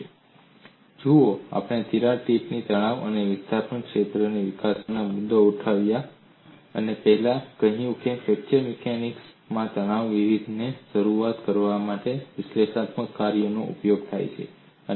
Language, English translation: Gujarati, See, before we take up the issue of developing crack tips stress and displacement fields, I said analytic functions are used to coin the stress function in fracture mechanics